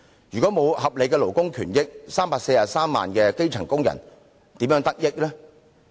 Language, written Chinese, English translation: Cantonese, 如果沒有合理的勞工權益 ，343 萬名基層工人又如何從中得益呢？, If reasonable labour rights are not guaranteed how can the 3.43 million grass - roots workers stand to benefit?